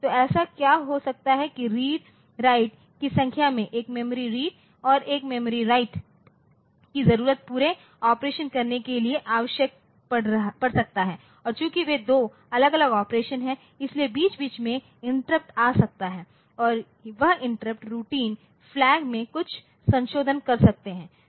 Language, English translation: Hindi, So, what can happen is that in number of read write operations one memory read and one memory write so, they are needed for doing this whole operation and since they are two different operations so, interrupt can come in between and that interrupting routine so, it can do some modification to the flag